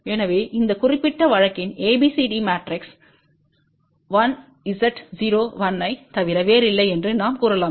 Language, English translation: Tamil, So, we can say that ABCD matrix for this particular case is nothing but 1 Z 0 1